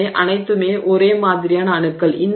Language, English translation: Tamil, So, this is all the same kind of atoms